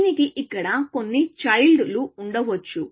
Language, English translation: Telugu, It may have some child here